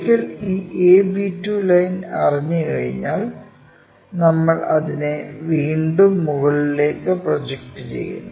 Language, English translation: Malayalam, Once, this a b 2 line is known we again project it back all the way up, a' b' line already known